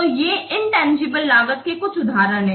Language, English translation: Hindi, So this is an example of tangible benefits